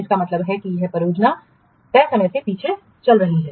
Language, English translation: Hindi, That means the project is lagging behind the schedule